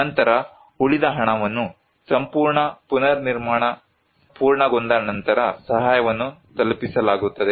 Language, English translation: Kannada, Then, the rest of the money will be delivered the assistance after the completion of the entire reconstruction